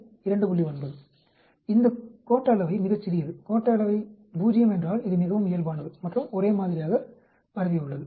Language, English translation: Tamil, 9, this skewness is very small, skewness 0 means it is very normal and will uniformly distributed